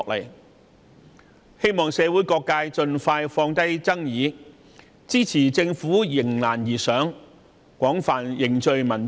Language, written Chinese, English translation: Cantonese, 我們希望社會各界盡快放下爭議，支持政府迎難而上，廣泛凝聚民意。, People from all walks of life should put aside their arguments as quickly as possible support the Government to rise to challenges and seek extensive common grounds